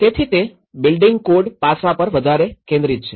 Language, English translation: Gujarati, So, it is very focused on the building code aspect